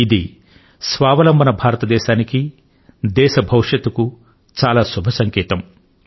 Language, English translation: Telugu, This is a very auspicious indication for selfreliant India, for future of the country